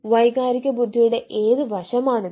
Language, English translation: Malayalam, ah, which aspect of emotional intelligence it is